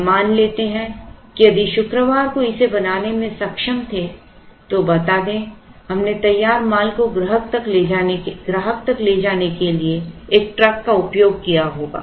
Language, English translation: Hindi, Now, let us assume that if we were able to make it on Friday then let us say we would have used a truck to take the finished goods to the customer